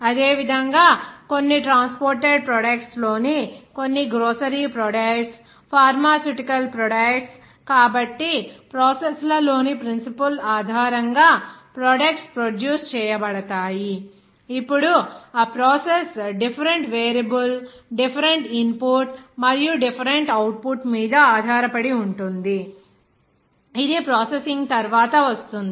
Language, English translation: Telugu, Like that, some grocery products in some transported products Pharmaceutical products so all though products produced based on in principle in process in now that process depends on different a variable different input and output also whatever it is coming after processing